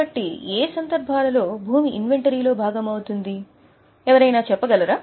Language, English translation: Telugu, So, in which cases it will be a part of inventory